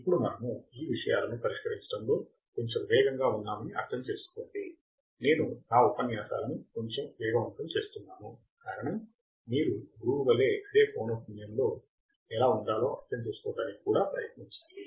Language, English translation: Telugu, Now, understand that we are little bit faster in solving these things, I am speeding up my lectures a little bit, the reason is that you have to also try to understand how to be in the same frequency as the teacher